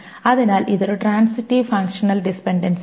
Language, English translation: Malayalam, Then we will talk about something called a transitive functional dependency